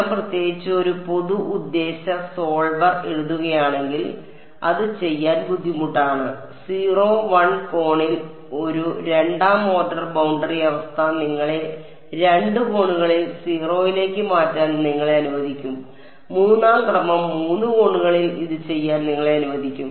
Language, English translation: Malayalam, So, for example, what are we doing we are imposing that the reflection go to 0 at 1 angle a second order boundary condition will allow you to make the reflection go to 0 at 2 angles, 3rd order will allow you to do it at 3 angles and so on